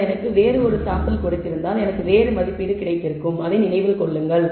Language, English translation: Tamil, Had you given me a different sample maybe I would have got a different estimate remember that